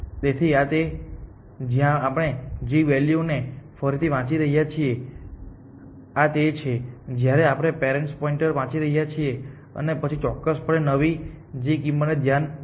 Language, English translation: Gujarati, So, this is where we are readjusting the g value, this is where we are readjusting the parent pointer and then this of course, taking into account the new g value